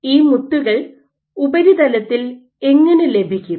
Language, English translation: Malayalam, So, you might and how do you get these beads on the surface